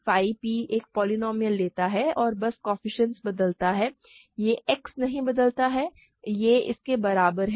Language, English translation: Hindi, Phi p takes a polynomial and simply changes the coefficients, it does not change X, this is equal to this